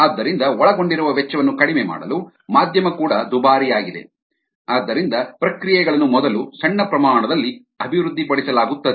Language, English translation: Kannada, so to minimize cost involved even medium expensive the they are processes are developed first at small scale